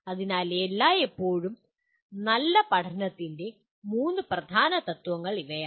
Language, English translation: Malayalam, So these are the three core principles of good learning always